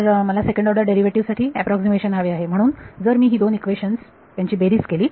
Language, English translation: Marathi, So, I want an approximation for second order derivative, so if I add these two equations